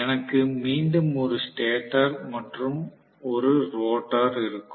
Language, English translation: Tamil, So, if I am going to again, again, I will have a stator and a rotor